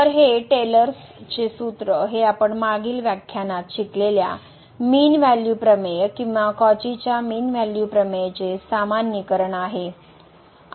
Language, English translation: Marathi, So, this Taylor’s formula which is a generalization of the mean value theorem or the Cauchy's mean value theorem which we have learned in the last lecture